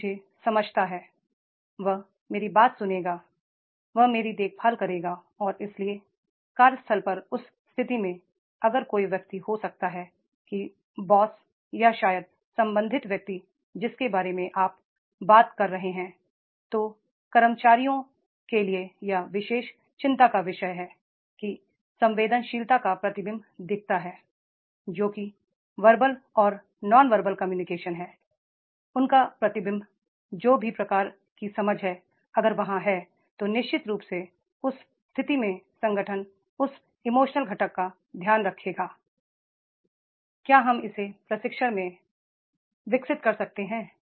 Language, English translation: Hindi, That is they feel yes he is having the soft corner for me, he understands me, he will listen me, he will take care of me and therefore in that case if at workplace, if there is somebody, maybe the boss or maybe the concern person who will be talking about this particular concern for the employees, that sensitivity show, reflection of the sensitivity show, reflection of whatever the verbal and non verbal cues are there, reflection of that whatever type of the understanding is there, if it is there then definitely in that case the organization, that emotional component that will be taken care of